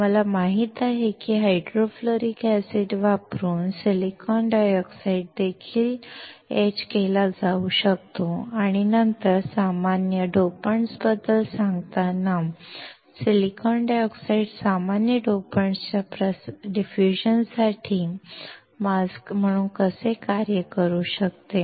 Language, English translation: Marathi, We know that the silicon dioxide can be etched using hydrofluoric acid and then how silicon dioxide can act as a mask for the diffusion for common dopants, while telling about the common dopants